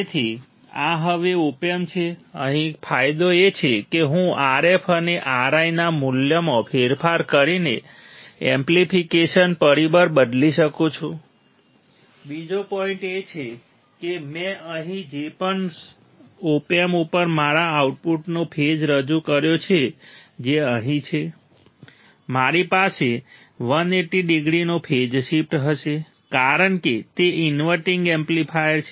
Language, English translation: Gujarati, So, this is the op amp now here the advantage is that that I can change the amplification factor by changing the value of RF and R I another point is whatever the I introduced phase my output at the op amp that is here, I will have a 180 degree phase shift because it is a inverting amplifier